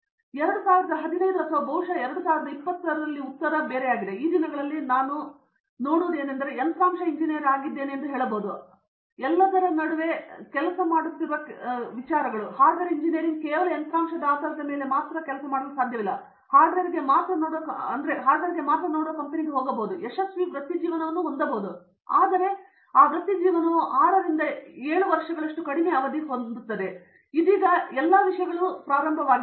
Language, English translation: Kannada, 2015 the answer which or probably 2020, the answer is that today see those days I could very well say I am a hardware engineer and then forget about everything else and things worked for me, like I could have a career based on hardware engineering just hardware I could go to company which look only a hardware and I could have a career successful career, but that career would have been short stint of say 6 to 7 years, now after that thinks start a things